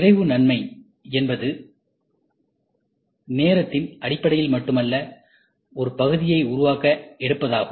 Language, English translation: Tamil, The speed advantage is not just in terms of time, it takes to build a part